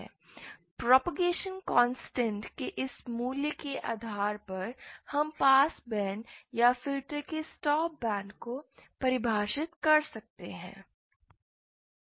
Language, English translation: Hindi, Depending on what this value of propagation constant is we can define the pass band or the stop band of the filter